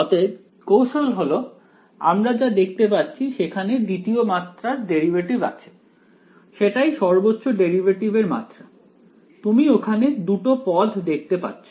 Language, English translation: Bengali, So, the hint is this that the we had looking at there are second order derivatives that is the maximum order of derivative, you see a two term over here